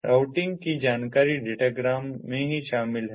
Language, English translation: Hindi, routing information is included in the datagram itself